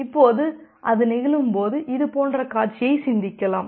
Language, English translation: Tamil, Now, when it happens, you can think of scenario like this